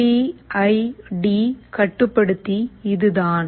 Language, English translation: Tamil, This is what PID controller is